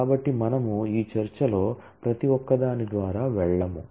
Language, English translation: Telugu, So, we will not go through each one of them in this discussion